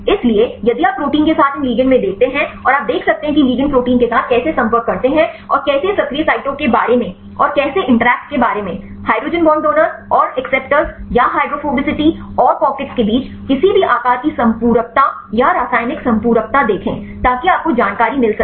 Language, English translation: Hindi, So, if you look into these ligands with the proteins, and you can see how the ligands interact with the proteins and how about the active sites and how about the interactions; see any shape complementarity or the chemical complementarity between the hydrogen bond donor and acceptors or the hydrophobicity and the pockets and so on, so you get the information